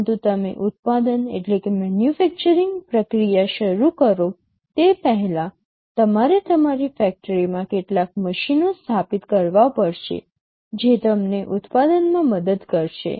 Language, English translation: Gujarati, But before you start the manufacturing process, you will have to install some machines in your factory that will help you in the manufacturing